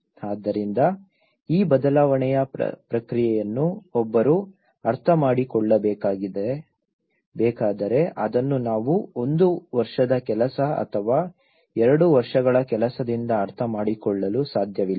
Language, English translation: Kannada, So, if one has to understand this change process, it is not just we can understand from one year work or two year work